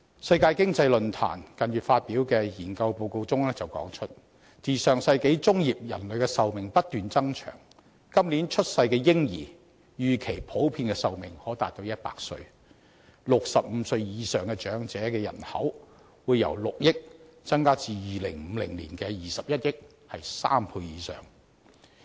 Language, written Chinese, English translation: Cantonese, 世界經濟論壇近月發表的研究報告指出，自上世紀中葉人類的壽命不斷延長，今年出生的嬰兒預期普遍壽命可達100歲 ，65 歲以上長者人口會由6億人增至2050年的21億人，增加3倍以上。, According to a study report published by the World Economic Forum a few months ago the life expectancy of mankind has been extending since the middle of the last century . It is projected that babies born this year will have a life expectancy of more than 100 years in general . The number of elderly aged over 65 will increase three times from 600 million to 2.1 billion in 2050